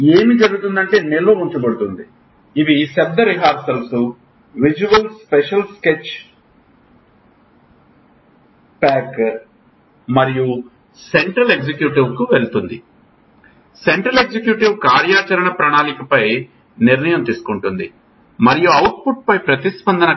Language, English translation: Telugu, So what happens, there is storage, these are verbal rehearsal, these are visual special sketch pack, it goes to central executive, central executive decides on action planning, and the response on output